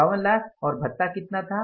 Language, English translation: Hindi, 52 lakhs and the allowance was how much